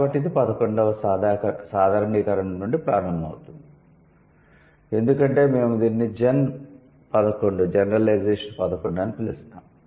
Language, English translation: Telugu, So, it will start from the 11th generalization as we are going to call it Gen 11